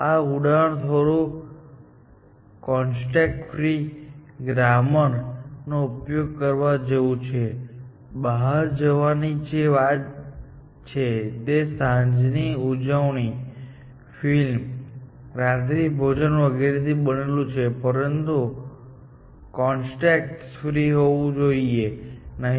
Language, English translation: Gujarati, In this example, it is a little bit, like using a context free grammar, to say, that an outing is made up of an evening out, and the movie and dinner, and then, so on and so forth; but it does not have to be context free